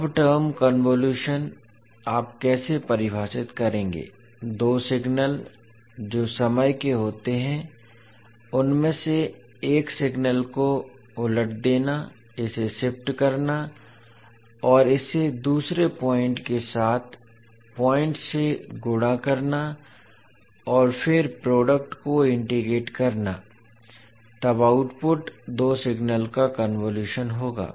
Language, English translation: Hindi, Now the term convolution, how you will define, the two signals which consists of time reversing of one of the signals, shifting it and multiplying it point by point with the second signal then and integrating the product then the output would be the convolution of two signals